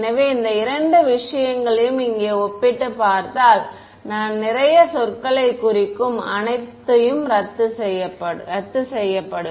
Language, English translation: Tamil, So, if I compare these two things over here, what everything I mean a lot of terms cancel off